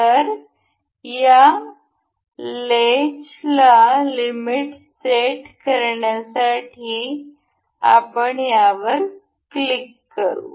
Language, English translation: Marathi, So, to set limit in on to this latch, we will just click over this